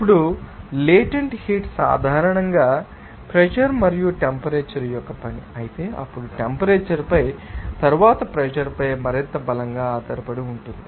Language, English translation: Telugu, Now, latent heats are in general a function of pressure and temperature, however, then depend much more strongly on temperature, then on pressure